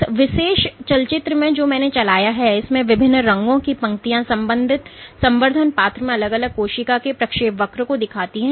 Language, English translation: Hindi, So, in this particular movie that I played the lines of different colors depict the trajectories of individual cells within the culture dish